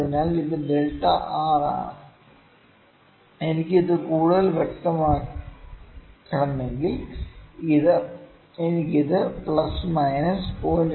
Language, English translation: Malayalam, So, this is delta r, if I need to make it more clear, I can even put it as, I put it equivalent to you put it as equal to plus minus 0